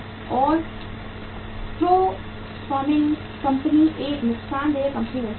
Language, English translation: Hindi, And profitmaking company can become a lossmaking company